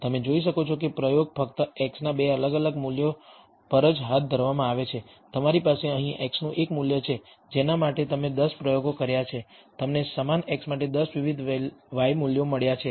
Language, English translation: Gujarati, You can see that the experiment is conducted only at 2 distinct values of x, you have one value of x here for which you have 10 experiments conducted you have got 10 different y values for the same x